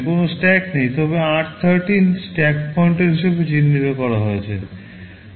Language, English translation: Bengali, There is no stack, but r13 is earmarked as the stack pointer